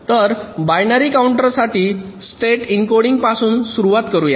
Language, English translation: Marathi, so let us start with state encoding for binary counters